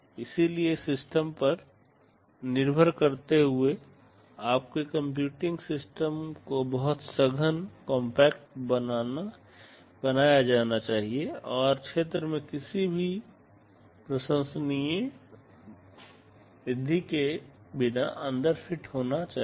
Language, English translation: Hindi, So, depending again on the system, your computing system must be made very compact and should fit inside without any appreciable increase in area